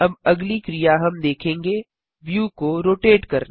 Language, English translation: Hindi, The next action we shall see is to rotate the view